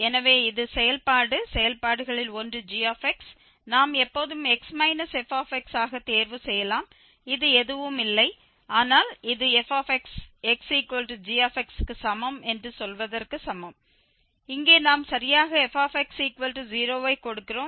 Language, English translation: Tamil, So, this is the function, one of the functions gx we can always choose as x minus fx and this is nothing but this is equivalent to saying that fx equal to so x is equal to gx here we will give exactly fx equal to 0